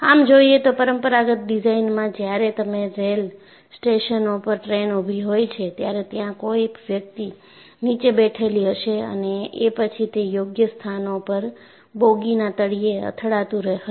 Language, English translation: Gujarati, In fact, if you look at, in conventional design also, when you look at railway stations, when the train stops, there would be someone sitting below and then hitting the bottom of the bogies at appropriate places